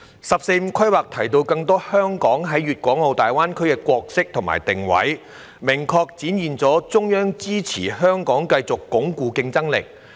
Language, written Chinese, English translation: Cantonese, "十四五"規劃提到香港在粵港澳大灣區中更多的角色和定位，明確展現了中央支持香港繼續鞏固競爭力。, The 14th Five - Year Plan has introduced more roles and positioning for Hong Kong in the Guangdong - Hong Kong - Macao Greater Bay Area GBA which clearly demonstrates the Central Authorities support for Hong Kong to continue to reinforce our competitiveness